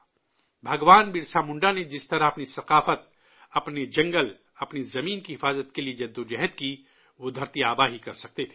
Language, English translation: Urdu, The way Bhagwan Birsa Munda fought to protect his culture, his forest, his land, it could have only been done by 'Dharti Aaba'